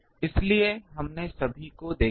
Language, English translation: Hindi, So, we have seen all